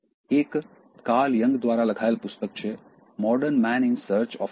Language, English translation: Gujarati, One is by, Carl Jung, Modern Man in Search of a Soul